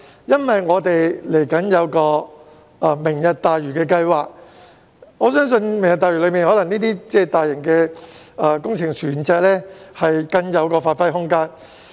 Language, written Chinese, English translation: Cantonese, 因為香港未來有一個"明日大嶼"計劃，我相信這些大型船隻在此計劃內會有更大的發揮空間。, It is because Hong Kong will have the Lantau Tomorrow project where I believe these large vessels will have a wider scope of use